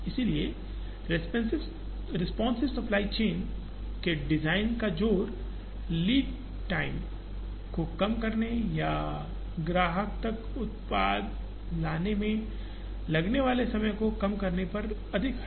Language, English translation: Hindi, So, the emphasis on the responsive supply chain design is more on cutting down the lead time or reducing the time taken to bring the product to the customer